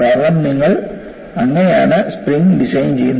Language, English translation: Malayalam, The strength is very high, because that is how you do the spring design